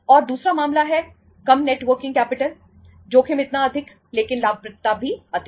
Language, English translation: Hindi, And second case is low net working capital higher the risk but the profitability is higher